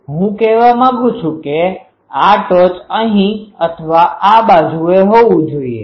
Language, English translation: Gujarati, So, I want let us say, here it should peak either here or this side